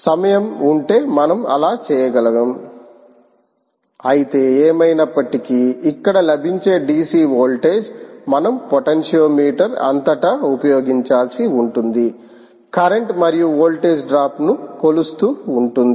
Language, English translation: Telugu, if time permits, we can do that, but anyway, just the point is that the d, c voltage that is available here, ah, we will have to be used across a potentiometer and keep measuring the current as well as the voltage